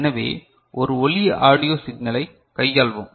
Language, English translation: Tamil, So, consider a sound signal audio signal right